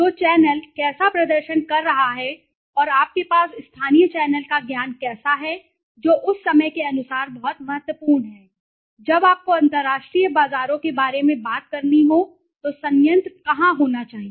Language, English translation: Hindi, So, the how is channel performing and how you know you have the local channel knowledge that is very important accordingly where should be the plant when you are talking about international markets